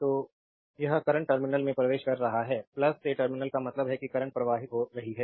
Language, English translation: Hindi, So, this current is entering the terminal means from plus terminal the current is flowing